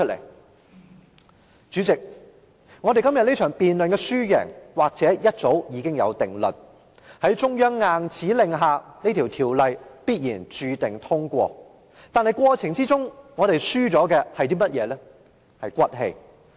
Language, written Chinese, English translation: Cantonese, 代理主席，我們今天這場辯論的輸贏或早有定論，在中央硬指令下《條例草案》必定會通過，但在過程中我們所輸掉的是"骨氣"。, Deputy President the winner and loser of this debate today may have been determined long ago . Under the high - handed instruction of the Central authorities the Bill will definitely be passed . But in the legislative process we have lost our moral integrity